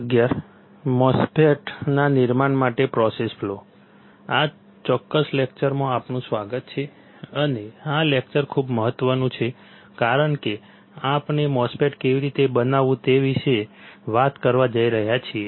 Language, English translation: Gujarati, Welcome to this particular lecture and this lecture is very important since we are going to talk about how to fabricate a MOSFET